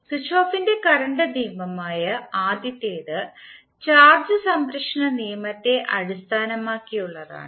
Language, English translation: Malayalam, The first one that is Kirchhoff’s current law is based on law of conservation of charge